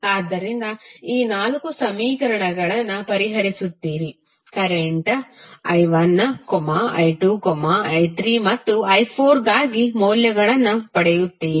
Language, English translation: Kannada, So, you solve these four equations you will get the values for current i 1, i 2, i 3 and i 4